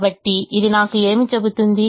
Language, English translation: Telugu, so what does it tell me